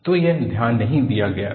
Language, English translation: Hindi, So, it was not noticed